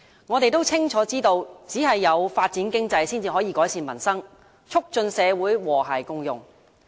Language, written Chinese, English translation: Cantonese, 我們清楚知道，只有發展經濟，才能改善民生，促進社會和諧共融。, We know only too well that only through economic development can we improve peoples livelihood and promote social harmony and inclusion